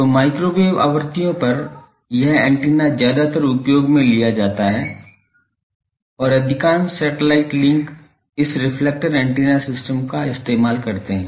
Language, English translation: Hindi, So, at microwave frequencies this is mostly used antenna and majority of satellite links use this reflector antenna systems